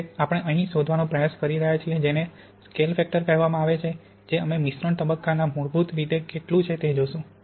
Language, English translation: Gujarati, Well, we are trying to find here is what is called the scale factor which is basically how much of the phase we have in the mixture